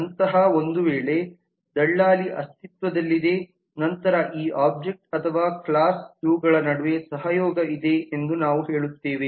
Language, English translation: Kannada, if such an agent exist then we will say that there is a collaboration between these objects or these classes